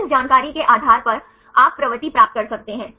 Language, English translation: Hindi, So, based on this information you can get the propensity